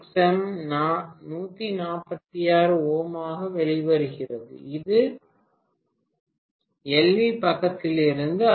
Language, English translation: Tamil, And XM is coming out to be 146 ohm, this is also from LV side, fine